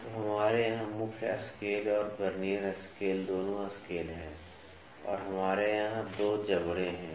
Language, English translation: Hindi, So, we have the main scale and Vernier scale both the scales here and we have 2 jaws here